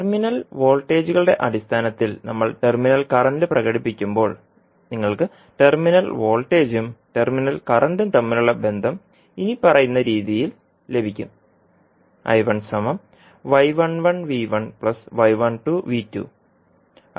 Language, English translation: Malayalam, So, when we express terminal current in terms of terminal voltages, you will get a relationship between terminal voltage and terminal current as follows